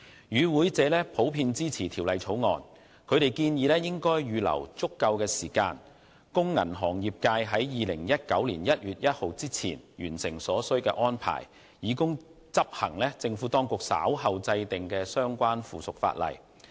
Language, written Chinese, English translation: Cantonese, 與會者普遍支持《條例草案》，他們建議應預留足夠時間，供銀行業界在2019年1月1日前完成所需的安排，以執行政府當局稍後制定的相關附屬法例。, All deputations are generally in support of the Bill and the deputations have requested the Administration to allow sufficient time for the banking sector to make necessary arrangements before 1 January 2019 to implement the relevant subsidiary legislation to be made by the Administration